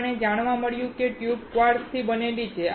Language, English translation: Gujarati, We found that the tube is made up of quartz